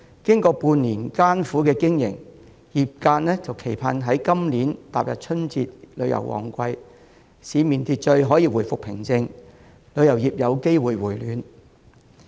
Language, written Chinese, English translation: Cantonese, 經過半年的艱苦經營，業界期盼今年踏入春節旅遊旺季，市面秩序可以回復平靜，旅遊業有機會回暖。, After going through business hardship for half a year the tourism industry kept fingers crossed for restoration of order and peace in society and possible revival of business approaching the peak season of tourism this Lunar New Year